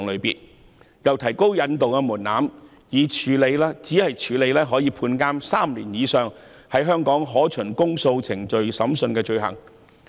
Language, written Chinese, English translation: Cantonese, 政府又提到引渡的門檻，只處理可判監3年以上、在香港可循公訴程序審訊的罪行。, The Government has also referred to the threshold for surrender arrangements ie . only offences punishable with imprisonment for more than three years and triable on indictment in Hong Kong are covered